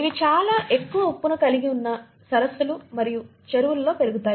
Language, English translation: Telugu, They can grow in lakes and ponds which have very high salt content